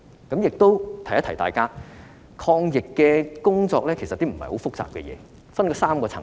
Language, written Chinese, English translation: Cantonese, 我亦想提醒大家，抗疫工作不是很複雜的事，這分成3個層次。, I also wish to remind all of you that the fight against the epidemic is not very complicated and the relevant work can be divided into three tiers